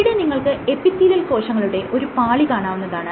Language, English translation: Malayalam, So, you have multiple layers of epithelial cells like this